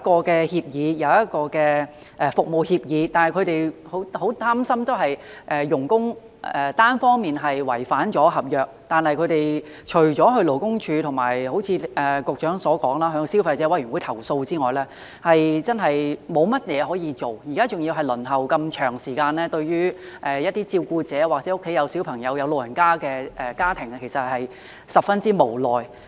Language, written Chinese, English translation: Cantonese, 雖然有一份服務協議，但僱主仍十分擔心，如外傭單方面違反合約，他們除了向勞工處，以及——正如局長所說——向消費者委員會投訴之外，真的沒有甚麼可以做——現在還要輪候那麼長的時間——對於一些照顧者，或者家中有小朋友、有長者的家庭來說，其實真的十分無奈。, Despite the presence of an SA employers are still filled with worries . Except lodging a complaint with LD and―just as what the Secretary mentioned―the Consumer Council there is really nothing much they can do in case of a unilateral breach of contract by their FDHs―worse still the waiting time is very long right now―and this is really a helpless situation for carers families with children and elders